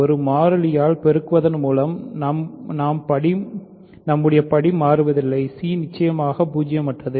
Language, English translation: Tamil, So, by multiplying by a constant, we do not change the degree; c is of course, non zero